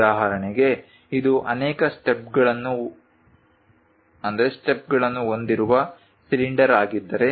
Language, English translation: Kannada, For example, if it is a cylinder having multiple steps